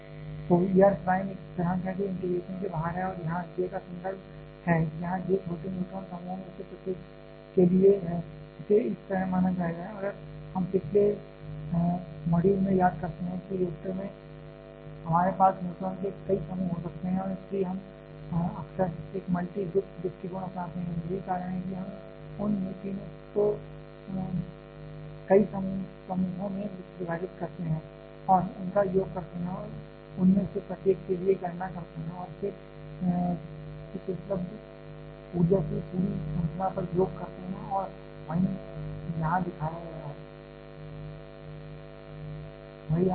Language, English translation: Hindi, So, ER prime being a constant is outside the integration and here j refers to, here j is the to each of the a small neutron groups that will be considered like; if we remember from the previous module that in a reactor we can have several groups of neutrons and therefore, we often adopt a multi group approach; that is why we divide those neutrons into several groups and sum their and perform the calculation for each of them and then sum that over the entire range of this energy available and the same has been shown here